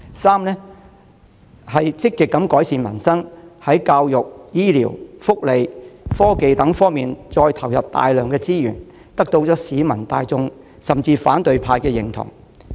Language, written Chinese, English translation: Cantonese, 三、積極改善民生，在教育、醫療、福利、科技等方面投入大量資源，得到市民大眾，甚至反對派的認同。, Third she proactively improves peoples lot by allocating enormous resources to such areas as education health care welfare and technology winning the approval of not just the general public but the opposition camp as well